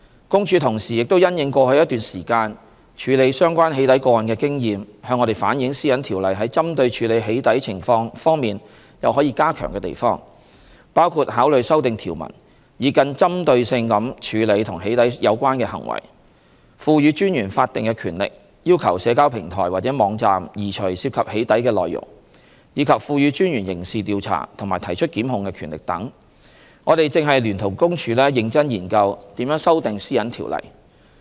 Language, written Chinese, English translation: Cantonese, 公署同時亦因應過去一段時間處理相關"起底"個案的經驗，向我們反映《私隱條例》在針對處理"起底"情況方面有可以加強的地方，包括考慮修訂條文以更針對性地處理與"起底"有關的行為、賦予專員法定權力要求社交平台或網站移除涉及"起底"的內容，以及賦予專員刑事調查及提出檢控的權力等，我們正聯同公署認真研究如何修訂《私隱條例》。, Drawing on the experience in handling the doxxing cases concerned over the past months PCPD reflected to us that there is room to enhance PDPO for tackling the problem of doxxing including to consider introducing legislative amendments to more specifically address doxxing conferring on the Commissioner statutory powers to request the removal of doxxing contents from social media platforms and websites as well as the powers to carry out criminal investigation and prosecution etc . We are seriously examining how PDPO should be amended with PCPD